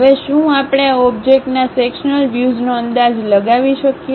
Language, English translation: Gujarati, Now, can we guess sectional views of this object